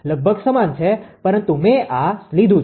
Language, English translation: Gujarati, Almost same, but I have taken this one